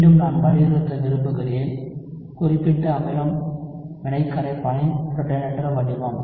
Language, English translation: Tamil, So again, I want to emphasize is, specific acid is the protonated form of the reaction solvent